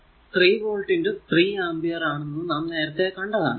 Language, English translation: Malayalam, So, it will be 3 ampere in to 3 volt